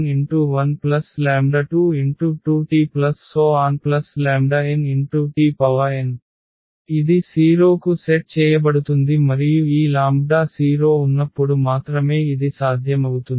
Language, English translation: Telugu, This will be set to 0 and this is only possible when all these lambdas are 0